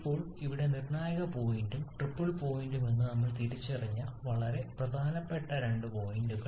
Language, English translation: Malayalam, Now there couple of very important points that we have identified is the critical point and that triple point